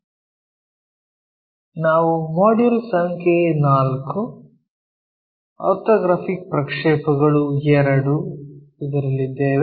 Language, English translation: Kannada, We are in module number 4, Orthographic Projections II